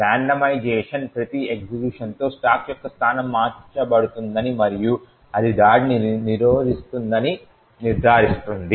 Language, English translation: Telugu, The randomization would ensure that the location of the stack would be changed with every execution and this would prevent the attack